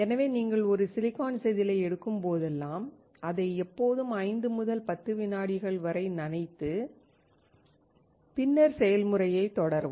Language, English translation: Tamil, Hence, whenever you take a silicon wafer always dip it for 5 to 10 seconds and then continue with the process